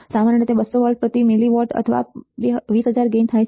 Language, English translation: Gujarati, Typical the gain is about 200 volts per milli watts or 200000 right